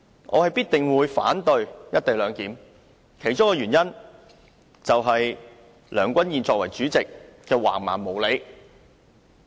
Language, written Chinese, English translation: Cantonese, 我必定會反對實施"一地兩檢"，其中一個原因，就是梁君彥議員作為主席的橫蠻無理。, I will definitely oppose the implementation of the co - location arrangement and one of the reasons is the high - handedness and unreasonableness of Mr Andrew LEUNG as the President